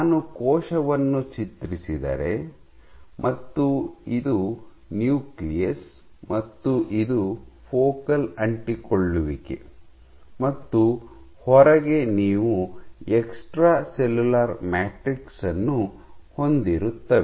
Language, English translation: Kannada, So, this is your nucleus, this is your focal adhesion, this is FA and outside you have the extra cellular matrix